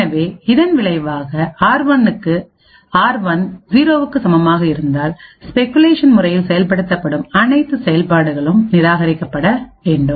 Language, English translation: Tamil, So, as a result if r1 is equal to 0 all the speculatively executed instructions would need to be discarded